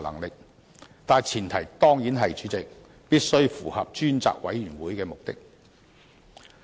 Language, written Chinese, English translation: Cantonese, 不過，主席，前提當然是必須符合成立專責委員會的目的。, But of course President the exercise of such power must be in line with the purpose of establishment of the select committee